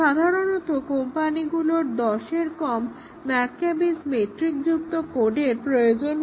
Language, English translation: Bengali, Normally the companies require that the code be have less than 10 McCabe’s metric